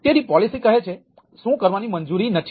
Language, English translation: Gujarati, so policy says what is what is not allowed, right